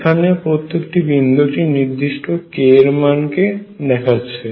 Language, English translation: Bengali, All these points show one particular k value on the negative side of k also